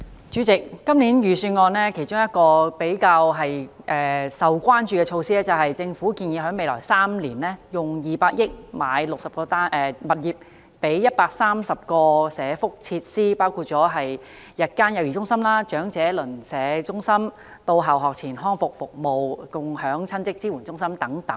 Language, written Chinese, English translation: Cantonese, 主席，今年財政預算案其中一項較為受關注的措施，是政府建議在未來3年，撥款200億元購買60個物業，以供營辦130多項社福設施，包括日間幼兒中心、長者鄰舍中心、到校學前康復服務、共享親職支援中心等。, President one of the measures proposed in this years Budget that has attracted more attention is the allocation of 20 billion in the next three years for the purchase of 60 properties for accommodating more than 130 welfare facilities . Such facilities include day childcare centres neighbourhood elderly centres on - site pre - school rehabilitation services and co - parenting support centres